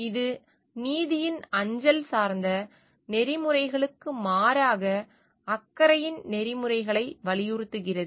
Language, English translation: Tamil, It emphasises the ethics of caring as opposed to the mail oriented ethics of justice